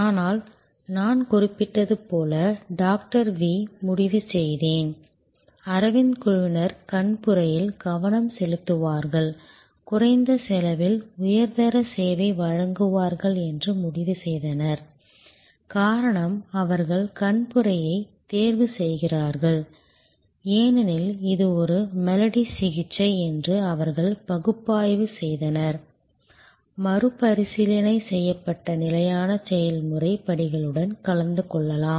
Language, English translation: Tamil, V decided, the Aravind team decided that they will focus on cataract, they will provide high quality service at low cost and the reason, they choose cataract, because they analyzed that this is a melody that can be treated; that can be attended to with replicable tested standard process steps